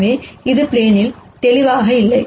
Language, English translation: Tamil, So, this is not clearly in the plane